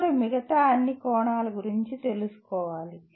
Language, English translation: Telugu, One should be aware of all the other facets